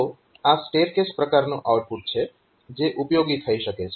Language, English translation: Gujarati, So, this is stair case type of output that may be useful